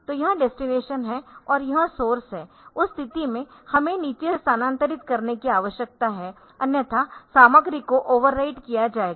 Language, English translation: Hindi, So, this is the destination and this is the source, in that case we need to MOV from the bottom otherwise the content will be overwritten